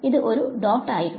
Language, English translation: Malayalam, So, this was dot